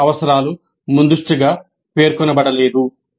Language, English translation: Telugu, No other requirements are stated upfront